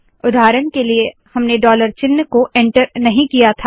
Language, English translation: Hindi, For example, we did not enter the dollar sign at all